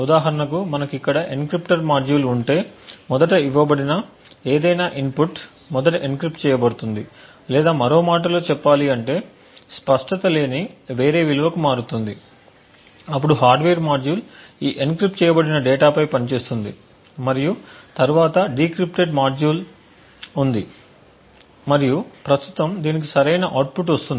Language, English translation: Telugu, So for example if we have an encryptor module over here any input which is given first get encrypted or in other words gets obfuscates to some other value then the hardware module works on this encrypted data and then there is a decrypted module and obtained a current correct output